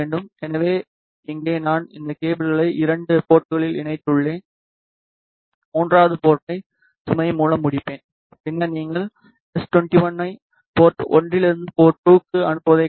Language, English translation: Tamil, So, here I have connected this cables at the two ports and I will terminate the third port with load, then you can see s 21 that is the transmission from port 1 to port 2